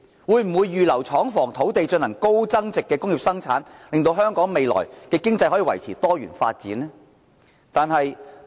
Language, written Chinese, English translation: Cantonese, 會否預留廠房、土地進行高增值的工業生產，使香港未來的經濟可以維持多元發展呢？, Will it earmark factory premises and lands for high value - added industrial production so that Hong Kong can maintain a diversified economy in the future?